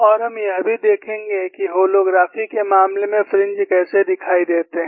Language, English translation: Hindi, And we will also have a look at, how the fringes appear in the case of holography